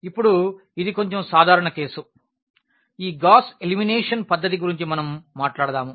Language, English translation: Telugu, Now, this is a little more general case which we will be talking about this Gauss elimination method